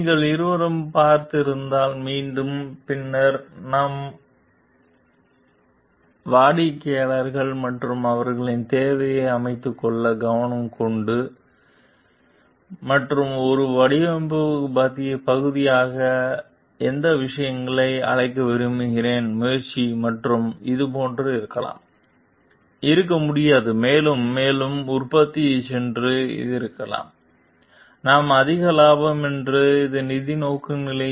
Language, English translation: Tamil, So, if and again if you are looking at both, then we need to give customized attention to the like customers and their needs and try to like invite those things in a design part and which may be like, cannot be like go on producing more and more which is the may be so that we are more profit which financial orientation